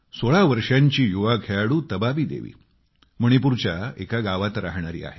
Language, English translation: Marathi, 16 year old player Tabaabi Devi hails from a village in Manipur